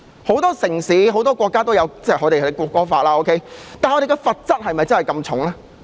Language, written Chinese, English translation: Cantonese, 很多城市和國家都有國歌法，但他們的罰則有這麼重嗎？, Many cities and countries have national anthem laws but do they have such severe punishments?